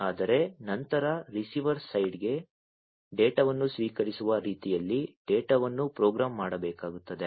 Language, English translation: Kannada, After that for the receiver side, the data will have to program in such a way that the data will have to be received right